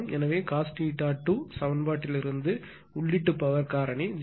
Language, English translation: Tamil, So, cos theta 2 is equal to say input power factor is 0